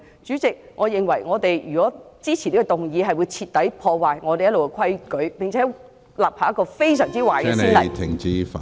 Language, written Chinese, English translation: Cantonese, 主席，如果我們支持此項議案，我認為將會徹底破壞立法會一直以來的規矩，並且立下一個非常壞的先例。, President if we support this motion I think the long - established rules of this Council will be completely destroyed and set a really bad precedent